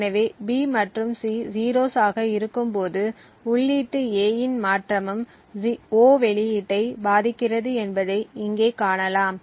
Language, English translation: Tamil, So over here you see that when B and C are 0s a change in input A also affects the output O